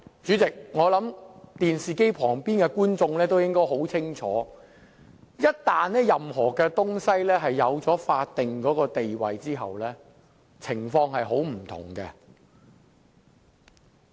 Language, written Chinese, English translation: Cantonese, 主席，我相信電視機前的觀眾應該很清楚知道，一旦一件事情擁有法定地位，情況便會很不同。, Chairman I trust the viewers in front of the television know full well that once a statutory status is granted to a certainly issue the situation will be very different